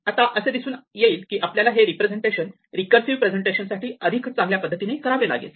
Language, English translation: Marathi, Now, it will turn out that we will want to expand this representation in order to exploit it better for recursive presentations